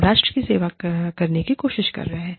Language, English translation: Hindi, We are trying to serve the nation